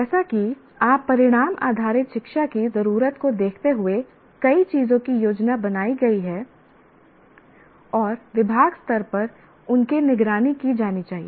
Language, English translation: Hindi, As you can see, the outcome based education demands that many things are planned and should be monitored at the department level